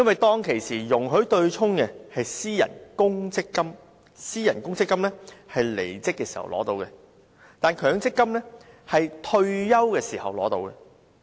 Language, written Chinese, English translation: Cantonese, 當年容許對沖的是私人公積金，僱員離職時可提取款項，但強積金則規定僱員退休時才能提取款項。, Back then it was under private provident funds that offsetting was allowed but employees could withdraw their benefits when they quit whereas under MPF it is stipulated that employees can withdraw their benefits only when they retire